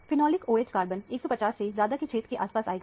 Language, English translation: Hindi, The phenolic OH carbon will come in the region around 150 plus